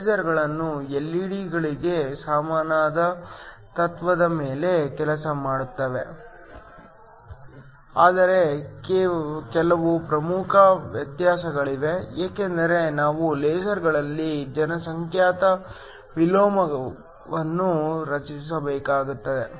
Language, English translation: Kannada, Lasers work on a similar principle to LED's, but there are some important differences because we also need to create population inversion in lasers